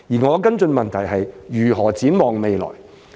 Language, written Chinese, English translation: Cantonese, 我的補充質詢是：如何展望未來？, My supplementary question is How will the future unfold?